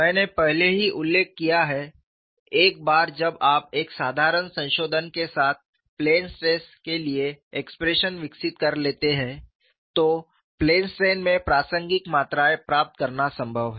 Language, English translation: Hindi, I have already mentioned earlier, once you develop expressions for plane stress with a simple modification, it is possible to get the relevant quantities in plane strain